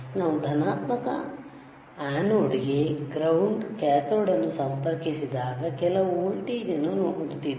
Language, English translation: Kannada, Let us see when we are connecting positive to anode ground to cathode we are again looking at the some voltage right